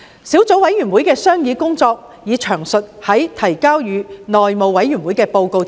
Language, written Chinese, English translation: Cantonese, 小組委員會的商議工作已在提交內務委員會的報告中詳述。, The deliberations of the Subcommittee are set out in detail in the report presented to the House Committee